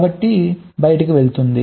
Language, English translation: Telugu, like that it goes on